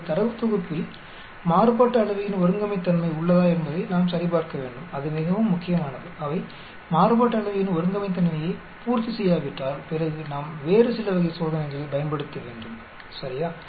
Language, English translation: Tamil, We need check whether your data set has Homogeneity of variance that is very important, if they does not satisfy the Homogeneity of variance then we need to use some other type of test, ok